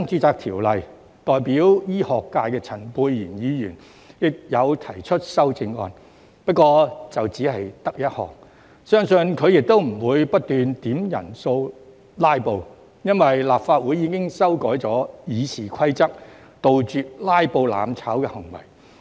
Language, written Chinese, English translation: Cantonese, 就《條例草案》代表醫學界的陳沛然議員提出一項修正案，相信他不會不斷點算人數"拉布"，因為立法會已經修改《議事規則》，杜絕"拉布"、"攬炒"行為。, Dr Pierre CHAN representing the medical profession has proposed an amendment to the Bill . I believe he will neither keep requesting headcounts nor filibuster because the Legislative Council has already amended the Rules of Procedure to eliminate filibustering and acts of mutual destruction